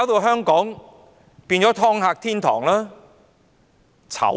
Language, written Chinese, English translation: Cantonese, 香港不就淪為"劏客"天堂。, Hong Kong has been degenerated into a paradise for ripping off customers